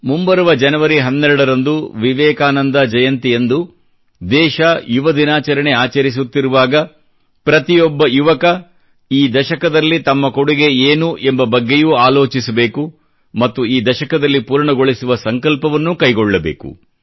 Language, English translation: Kannada, On the birth anniversary of Vivekanand on the 12th of January, on the occasion of National Youth Day, every young person should give a thought to this responsibility, taking on resolve or the other for this decade